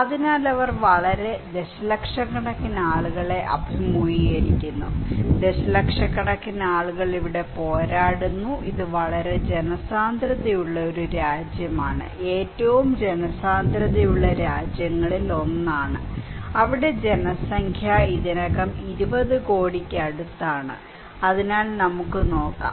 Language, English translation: Malayalam, So, they are facing a very millions and millions of people are battling here, it is a very densely populated country, okay whose one of the most densely populated country, there population is already close to 20 crores so, let us look